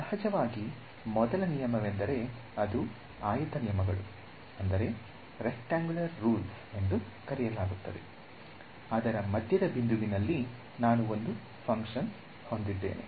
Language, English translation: Kannada, So, the first rule of course is the what is called as the; is called the rectangle rules, its the midpoint rule that if I have some function over here